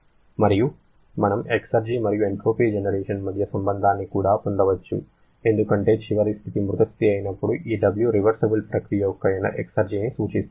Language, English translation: Telugu, So, this way we can relate the irreversibility with the entropy generation and we can also get a relationship between exergy and the entropy generation because when the final state is a dead state, this W reversible refers to the exergy of the system